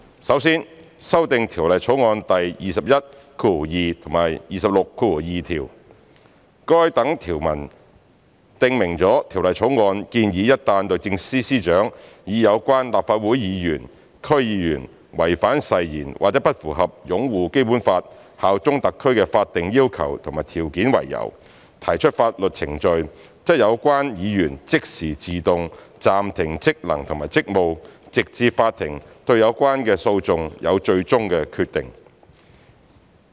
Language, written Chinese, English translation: Cantonese, 首先，修訂《條例草案》第212及262條，該等條文訂明了《條例草案》建議一旦律政司司長以有關立法會議員/區議員違反誓言或不符合"擁護《基本法》、效忠特區"的法定要求和條件為由，提出法律程序，則有關議員即時自動暫停職能和職務，直至法庭對有關的訴訟有最終決定。, Firstly to amend clauses 212 and 262 . As provided in those clauses the Bill proposes that immediately after legal proceedings are brought by the Secretary for Justice against a Legislative CouncilDistrict Council DC member on the grounds of breach of oath or failure to fulfil the legal requirements and conditions on upholding the Basic Law and bearing allegiance to the Hong Kong Special Administrative Region the functions and duties of the Legislative CouncilDC member will be suspended until the decision of the court becomes final